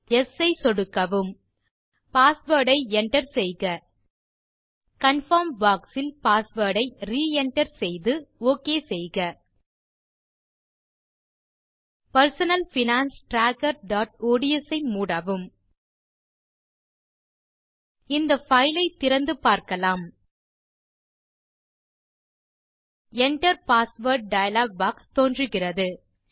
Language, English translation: Tamil, Then enter a password and re enter the password in confirm box also and click OK Then close the Personal Finance Tracker.ods Now, let us reopen this file and check what happens